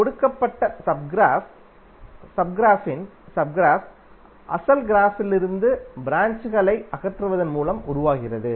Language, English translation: Tamil, Sub graph of a given graph is formed by removing branches from the original graph